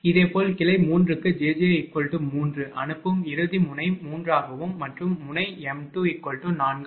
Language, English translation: Tamil, Similarly, for branch 3 when j j is equal to 3 sending end node will be 3 and receiving end node m 2 will be 4